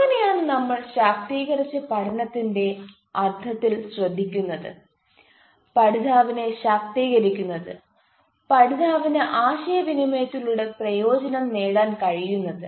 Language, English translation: Malayalam, so that is how we take care of, in the sense of empowered learning, empower learner, the learner can benefits through communication